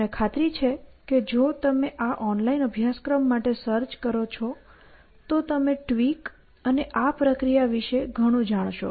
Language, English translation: Gujarati, So, I am sure if you search for this online course, you will hear lot about tweak and this process essentially